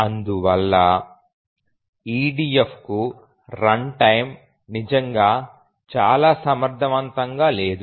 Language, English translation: Telugu, Therefore we can say that EDF is not really very runtime efficient